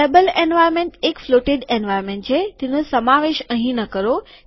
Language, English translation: Gujarati, Table environment is a floated one, do not include it here